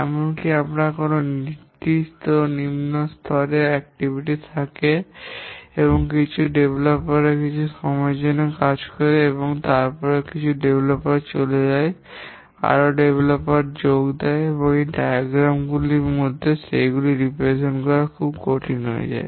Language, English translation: Bengali, Even if we have the lowest level activity, some developers work for some time and then some developers leave, more developers join and so on, it becomes very difficult to represent in a diagram